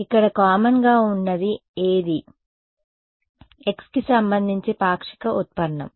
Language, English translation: Telugu, So, what is common over there the partial derivative with respect to